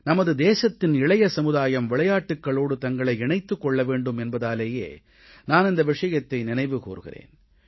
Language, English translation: Tamil, I am reminding you of this because I want the younger generation of our country to take part in sports